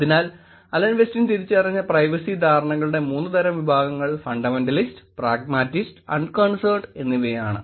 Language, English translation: Malayalam, So, that is the three categories of users, categories of privacy perceptions that Alan Westin looked at; fundamentalist, pragmatist and unconcerned